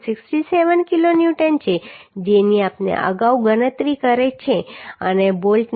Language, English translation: Gujarati, 67 kilonewton which we have calculated earlier and the bolt value is 37